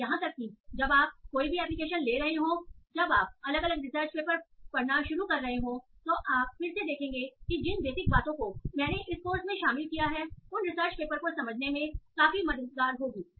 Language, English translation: Hindi, And even when you are taking application, when you start reading different research papers, you will again see that the basic that are covered in this course will be quite helpful in understanding those such papers